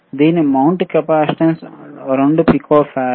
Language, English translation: Telugu, iIt is mounting capacitance is 2 pico farad